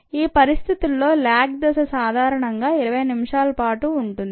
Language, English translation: Telugu, the lag phase usually last twenty minutes